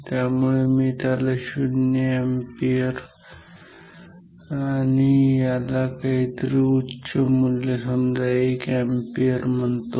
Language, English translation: Marathi, So, maybe I write this as the 0 ampere and maybe this is some high value of current maybe just call it 1 ampere